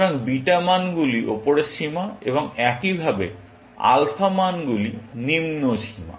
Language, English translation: Bengali, So, beta values are upper bounds, and likewise, alpha values are lower bounds